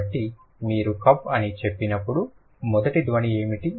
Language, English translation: Telugu, So when you say cup, what is the first sound